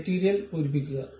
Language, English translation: Malayalam, Fill the material